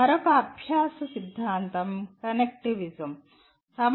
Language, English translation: Telugu, Then another learning theory is “connectivism”